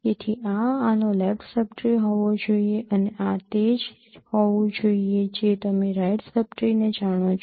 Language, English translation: Gujarati, So this is this should be the left sub tree of this one and this should be the right sub tree